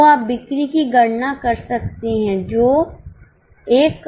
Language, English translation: Hindi, So, you can calculate the sales which is 1,067,000